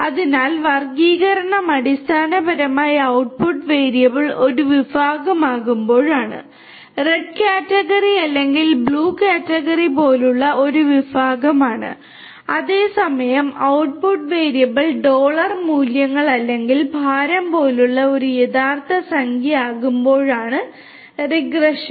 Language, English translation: Malayalam, So, classification basically is when the output variable is a category; is a category such as you know red category or blue category whereas, regression is when the output variable is a real number such as the dollar values or the weight and so on